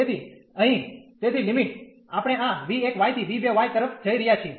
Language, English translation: Gujarati, So, here therefore the limit we are going from this v 1 y to v 2 y